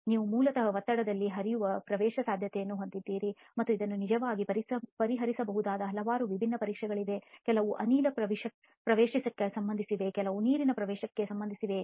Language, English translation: Kannada, You have permeation which is basically flow under pressure and there are several different tests that can actually address this, some are related to gas permeation, some are related to water permeation